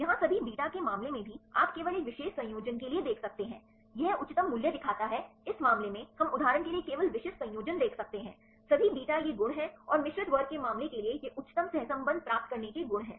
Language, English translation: Hindi, In the case of all beta here also, you can see only for a particular combination it shows the highest value right in this case we could see only specific combination for example, all beta these are the properties and the for the case of mixed class these are the properties to get the highest correlation